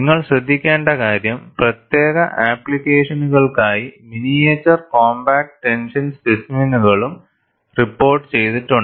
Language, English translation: Malayalam, And what you will have to note is, you also have miniature compact tension specimens, reported for special applications